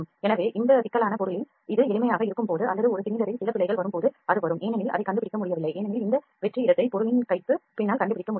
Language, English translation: Tamil, So, that that would come in this complex object when it has be simple or just no just a cylinder some errors are come because, it could not detect it could not detect this vacant space behind the hand of the object it could not detected this